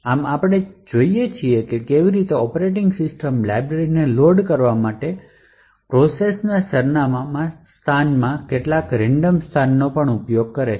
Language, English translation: Gujarati, Thus, we see how the operating system uses some random location in the process address space in order to load the library